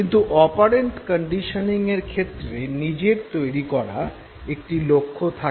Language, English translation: Bengali, Whereas in the case of operant conditioning there is a goal that you set for yourself